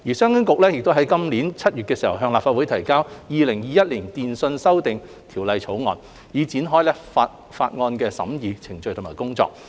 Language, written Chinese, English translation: Cantonese, 商務及經濟發展局遂於今年7月向立法會提交《2021年電訊條例草案》，以展開法案的審議程序和工作。, The Commerce and Economic Development Bureau then presented the Telecommunications Amendment Bill 2021 the Bill to the Legislative Council in July this year to commence the scrutiny process and work of the Bill